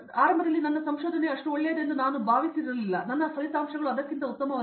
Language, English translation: Kannada, Initially I thought that my research is not that much good, my results are not that much good